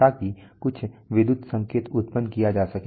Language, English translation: Hindi, So that some electrical signal can be generated